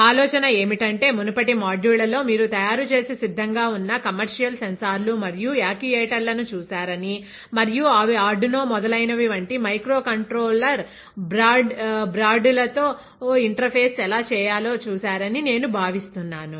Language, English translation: Telugu, The Idea is, I think in the previous modules you have seen readymade commercial sensors and the actuators and how they have been interface with micro controller broads like arduino etcetera